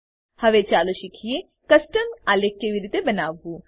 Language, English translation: Gujarati, Now, lets learn how to create a Custom chart